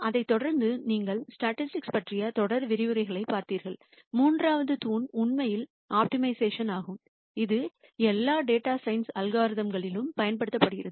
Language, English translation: Tamil, Following that you saw series of lectures on statistics and the third pillar really is optimization, which is used in pretty much all data science algorithms